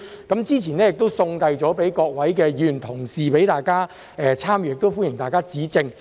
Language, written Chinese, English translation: Cantonese, 建議書已於早前送遞給各位議員同事，讓大家參閱，亦歡迎大家指正。, The proposal has been sent to Members earlier for reference and I welcome Members comments